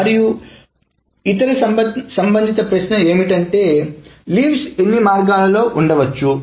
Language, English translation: Telugu, And the other question related question is the number of ways leaves can be placed